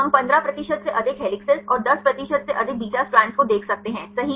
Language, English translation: Hindi, We can see the more than 15 percent helices and more than 10 percent beta strands right